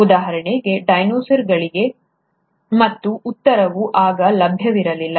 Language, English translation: Kannada, For example, for dinosaurs, and answer was not available then